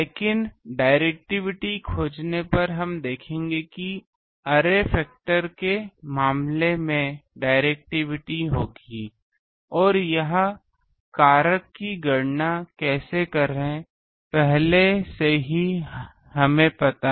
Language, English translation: Hindi, But finding directivity we will see that in case of array factor there will be a directivity and this factor already we know how to calculate the directivity of elemental ones